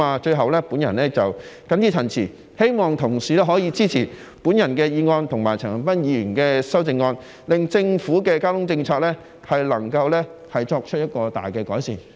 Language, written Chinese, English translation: Cantonese, 最後，我謹此陳辭，希望同事可以支持我的議案和陳恒鑌議員的修正案，令政府的交通政策能夠作出重大改善。, Finally with these remarks I hope that colleagues can support my motion and Mr CHAN Han - pans amendment so that the Governments transport policy can be greatly improved